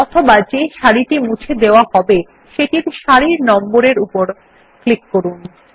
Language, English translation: Bengali, Alternately, click on the row number to be deleted